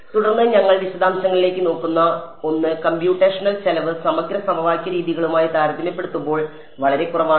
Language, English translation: Malayalam, Then something that we will look into details I will as we go along the computational cost is very very low compared to integral equation methods